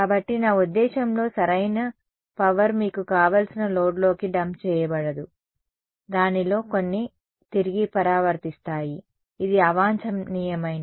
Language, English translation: Telugu, Right so, all the power is not I mean the optimal power is not dumped into the whatever load you want some of its gets reflected back which is undesirable right